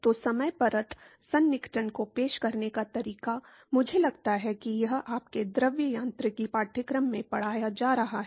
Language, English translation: Hindi, So, the way to introduce the boundary layer approximation, I suppose that it iss being taught in your fluid mechanics course